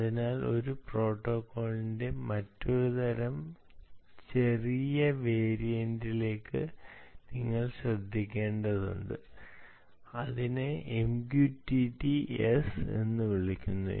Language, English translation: Malayalam, so you have to pay attention to another type of small variant of the same protocol which is called m q t t s